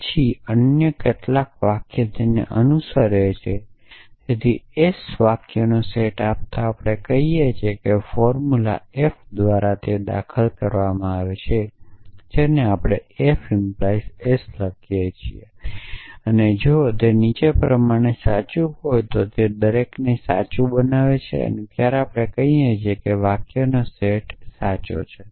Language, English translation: Gujarati, Then, does some other sentence follow that essentially, so given set of s sentences we say that a formula f is entailed by s, which we write as f entails s if the following is true if for every that makes s true and when we say a set of sentences is true essentially